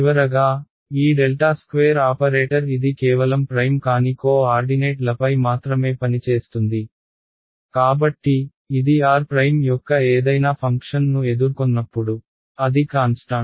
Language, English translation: Telugu, Finally, this del squared operator this is acting only on unprimed co ordinates ok, so, when it encounters any function of r prime it is a constant right